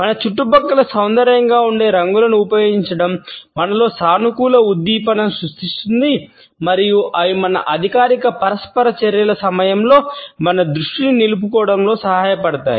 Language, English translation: Telugu, The use of those colors which are aesthetically pleasing in our surrounding create a positive stimulation in us at the workplace and they help us in retaining our focus during our official interactions